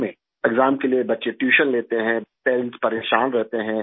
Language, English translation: Urdu, Children take tuition for the exam, parents are worried